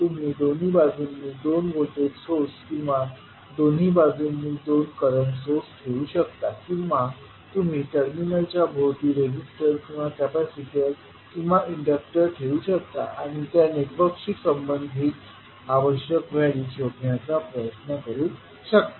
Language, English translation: Marathi, You can either put two voltage sources on both sides or two current sources on both sides, or you can put the resistor or capacitor or inductor across the terminal and try to find out the values which are required to be calculated related to that particular network